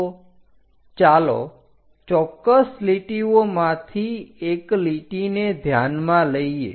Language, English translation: Gujarati, So, let us consider one of the particular line